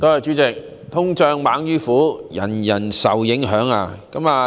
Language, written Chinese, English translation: Cantonese, 主席，"通脹猛於虎"，人人皆受影響。, President inflation is fiercer than a tiger and it affects everybody